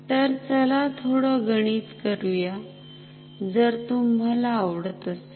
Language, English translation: Marathi, Let us do some maths if you like